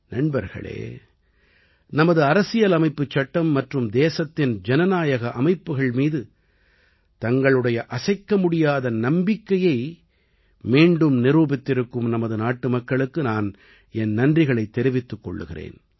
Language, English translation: Tamil, Friends, today I also thank the countrymen for having reiterated their unwavering faith in our Constitution and the democratic systems of the country